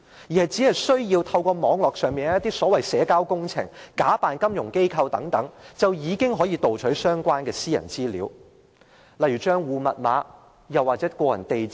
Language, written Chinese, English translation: Cantonese, 罪犯只需要透過一些社交網絡，假扮金融機構，便已可盜取到相關私人資料，例如帳戶號碼或個人地址等。, It would be possible for offenders to simply fake messages of financial institutions on certain social networks and then obtain personal data such as account number or personal address by theft